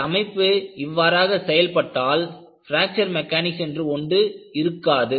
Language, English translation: Tamil, If the structure behaves like that, there would not have been any Fracture Mechanics